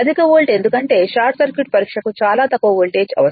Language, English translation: Telugu, high volt because, short circuit test it require very low voltage right